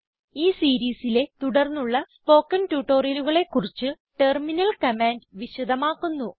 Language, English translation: Malayalam, Terminal commands are explained well in the subsequent Linux spoken tutorials in this series